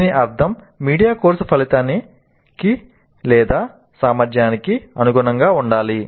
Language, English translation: Telugu, That essentially means that the media must be consistent with the course outcome or the competency